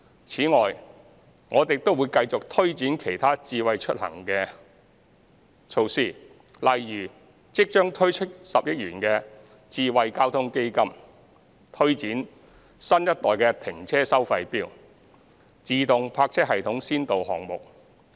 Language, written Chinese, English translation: Cantonese, 此外，我們亦會繼續推展其他"智慧出行"措施，例如即將推出的10億元"智慧交通基金"、推展新一代停車收費錶、自動泊車系統先導項目。, Besides we will continue to promote other Smart Mobility initiatives such as the 1 billion Smart Traffic Fund to be introduced soon the promotion of new - generation parking meters and pilot projects on automated parking systems